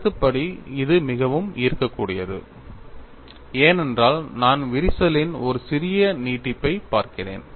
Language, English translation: Tamil, Conceptually this is more appealing, because I am really looking at a small extension of the crack